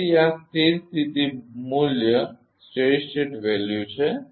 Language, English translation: Gujarati, So, this is the steady state value